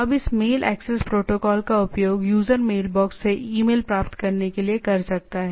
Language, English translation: Hindi, Now this mail access protocol can be used by the user to retrieve the email from the mailbox